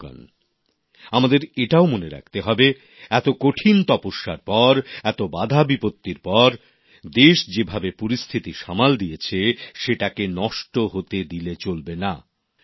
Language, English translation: Bengali, all of us also have to bear in mind that after such austere penance, and after so many hardships, the country's deft handling of the situation should not go in vain